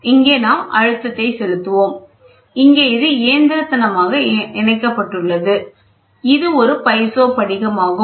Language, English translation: Tamil, So, I have to so, through here we will apply pressure, ok, here it is mechanically linked, this is a piezo crystal